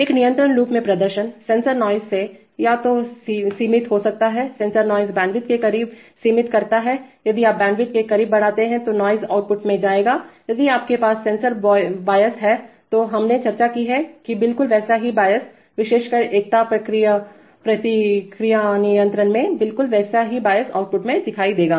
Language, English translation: Hindi, Performance in a, in a control loop gets, can be limited either by sensor noise, sensor noise limits the close to bandwidth if you increase the close to bandwidth, the noise will go to the output, if you have sensor bias, this we have discussed, exactly same bias, especially in unity feedback control, exactly same bias will appear at the output